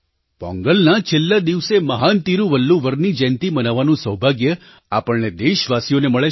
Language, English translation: Gujarati, The countrymen have the proud privilege to celebrate the last day of Pongal as the birth anniversary of the great Tiruvalluvar